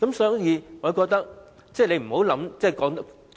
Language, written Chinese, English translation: Cantonese, 所以，我覺得政府不要過於吹噓。, Therefore I think the Government should make no excessive bragging of it